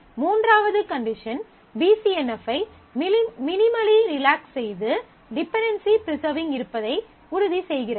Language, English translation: Tamil, So, third condition minimally relaxes BCNF to ensure that we have a dependency preservation